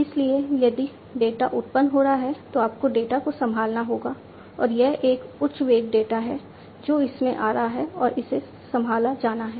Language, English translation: Hindi, So, if the data is getting generated you have to handle the data and this is a high velocity data that is coming in and that has to be handled